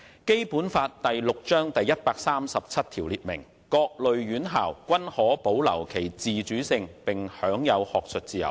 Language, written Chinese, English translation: Cantonese, 《基本法》第六章第一百三十七條列明："各類院校均可保留其自主性並享有學術自由"。, Article 137 of Chapter VI of the Basic Law provides that Educational institutions of all kinds may retain their autonomy and enjoy academic freedom